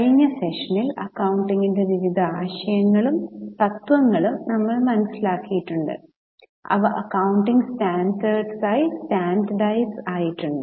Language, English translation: Malayalam, In the last session we have understood various concepts and principles of accounting which have been standardized as accounting standard